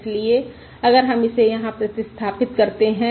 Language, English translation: Hindi, Now let us use the substitution